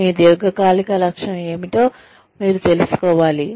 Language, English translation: Telugu, You should know, what your long term goal is